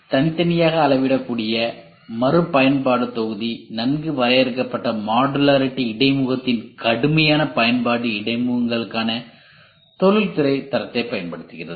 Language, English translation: Tamil, So discrete scalable reusable module rigorous use of well defined modular interface making use of industrial standard for interfaces